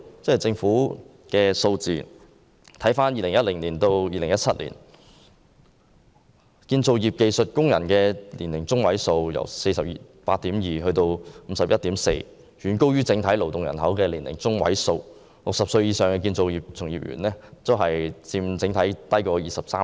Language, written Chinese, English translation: Cantonese, 政府的數字顯示，在2010年至2017年期間，建造業技術工人的年齡中位數從 48.2 上升至 51.4， 遠高於整體勞動人口的年齡中位數，而60歲以上的建造業從業員佔行業總人數的 23%。, According to government statistics between 2010 and 2017 the median age of skilled workers in the construction industry rose from 48.2 years to 51.4 years far higher than the median age of the workforce in Hong Kong and workers aged 60 or above represent 23 % of the total workforce in the construction industry